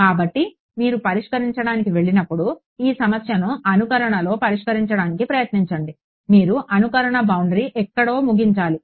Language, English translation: Telugu, So, when you go to solve try to solve this problem in a simulation you have to end the simulation boundary somewhere right